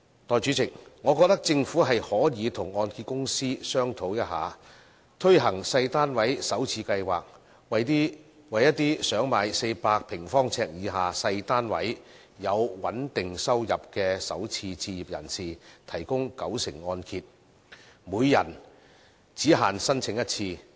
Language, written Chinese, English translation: Cantonese, 代理主席，我認為政府可以與香港按揭證券有限公司商討一下，推行小型單位首次置業計劃，為想購買400平方呎以下的小型單位、有穩定收入的首次置業人士，提供九成按揭，每人限申請一次。, Deputy President I think the Government should discuss with the Hong Kong Mortgage Corporation Limited to introduce a purchase scheme for first - time buyers of small flats under which first - time home buyers with stable incomes who intend to purchase small flats less than 400 sq ft will be offered a one - time opportunity to apply for mortgage loans on the basis of a 90 % loan - to - value ratio